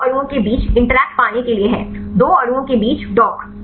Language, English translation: Hindi, Is to get the interaction between the two molecules, the dock between two molecules